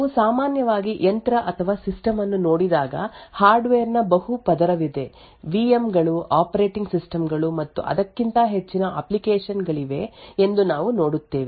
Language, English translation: Kannada, When we actually normally look at a machine or a system, we see that there are a multiple layer of hardware, there are VM’s, operating systems and above that the application